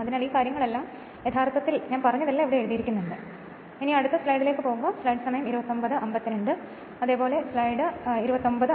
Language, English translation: Malayalam, So, all these things actually whatever I said all these things are written here so, not for not further I am explaining this right